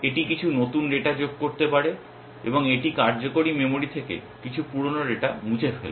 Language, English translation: Bengali, It may add some new data and it will deletes some old data from the working memory